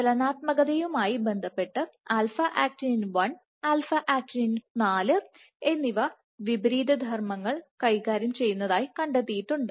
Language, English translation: Malayalam, What has been observed is alpha actinin 1 and alpha actinin 4 have been found to play opposite roles with regards to motility